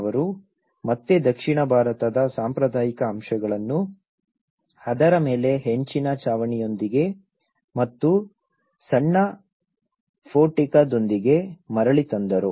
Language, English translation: Kannada, They again brought back the traditional elements of the south Indian with the tile roof over that and with a small portico